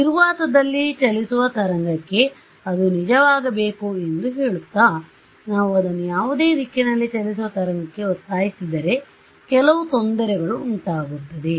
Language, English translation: Kannada, Saying that it should hold true for a wave traveling in vacuum, we will force it on wave traveling in any direction and we will suffer some error because of that